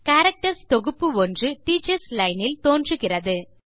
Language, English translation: Tamil, A set of characters are displayed in the Teachers Line